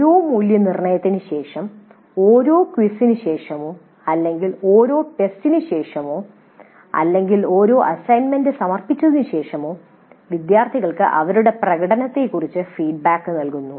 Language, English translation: Malayalam, Then we also have the feedback on the student performance provided to the students after every assessment, after every quiz or after every test or every, after the submission of every assignment, feedback is given to the students on their performance